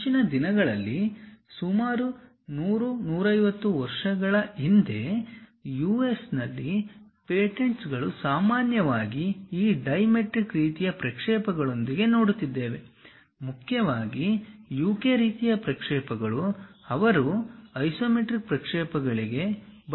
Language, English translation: Kannada, Earlier days like some 100, 150 years back, in US the patents usually used to go with this dimetric kind of projections; mainly UK kind of projections, they try to use for isometric projections